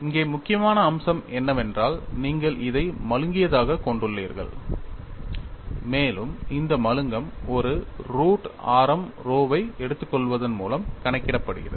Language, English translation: Tamil, The important aspect here is you have this has blunt and this blunting is accounted for, by taking a root radius rho